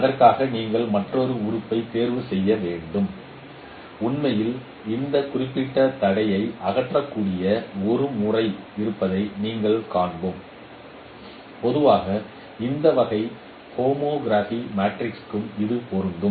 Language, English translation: Tamil, And for that, no, you need to choose another element and we will see actually there is a method which can remove this particular constraint and in generally can be applicable for any kind of homography matrix